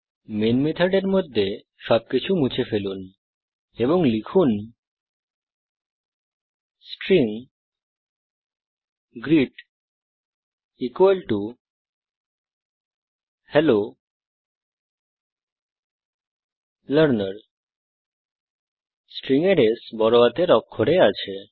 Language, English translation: Bengali, remove everything inside the main method and type String greet equal to Hello Learner : Note that S in the word String is in uppercase